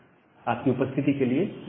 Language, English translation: Hindi, Thank you all for attending the class